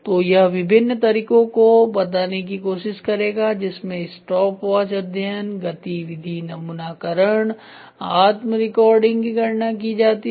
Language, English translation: Hindi, So, this will try to tell different ways in which the measurements are calculated stopwatch study, activity sampling, self recording